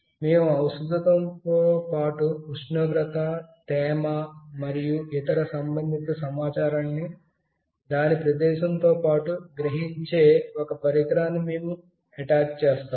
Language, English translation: Telugu, Along with a medicine, we attach some device that will sense the temperature, humidity, and other relevant information along with its location as well